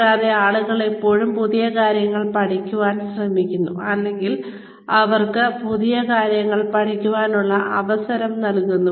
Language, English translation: Malayalam, And, people are always trying to learn new things, or, they are given the opportunity to learn new things